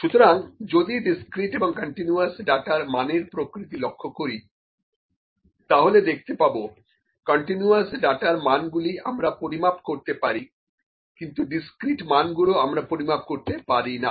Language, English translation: Bengali, So, if I see the nature of the values for the discrete and continuous data, the continuous data values can be measured, but the discrete values cannot be measured